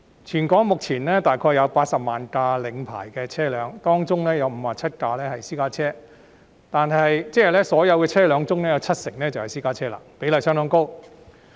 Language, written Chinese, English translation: Cantonese, 全港目前約有80萬輛領牌車輛，當中有57萬輛是私家車，即所有車輛中七成是私家車，比例相當高。, At present there are approximately 800 000 licensed vehicles in Hong Kong among which 570 000 are private cars . It means that 70 % of all vehicles are private cars representing a very high percentage